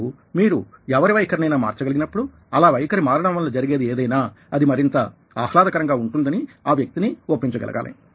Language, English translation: Telugu, now, when you are able to change somebodies attitude, you are able to convince that person that by changing the attitude, whatever was happening would become more pleasant